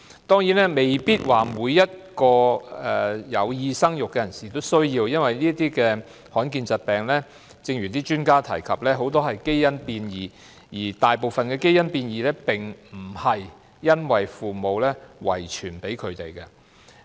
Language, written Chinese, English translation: Cantonese, 當然不是說每個有意生育的人士也需要檢測，因為正如很多專家指出，這些罕見疾病的成因很多是因為基因變異，而大部分的基因變異並非由父母遺傳胎兒。, Of course I do not mean all persons intending to have babies need to undergo testing as many experts have pointed out that rare diseases are often caused by genetic modifications the majority of which are not passed down to foetuses by parents